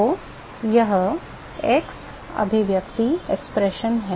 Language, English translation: Hindi, So, that is the [ex] expression